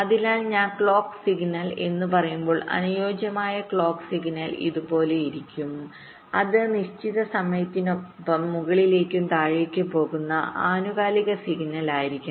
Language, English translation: Malayalam, so when i say the clock signal, so the ideal clock signal will be like this: it would be get periodic signal that we go up and down with certain time period, lets say t